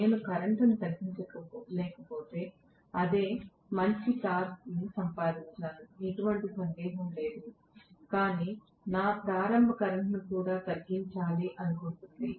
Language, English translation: Telugu, The same thing if I am not able to bring down the current I would have gotten better torque, no doubt, but my soul purposes to bring down starting current as well